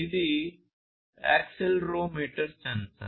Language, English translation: Telugu, This is an accelerometer sensor, accelerometer